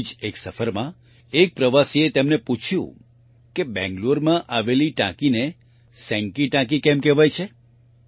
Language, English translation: Gujarati, On one such trip, a tourist asked him why the tank in Bangalore is called Senki Tank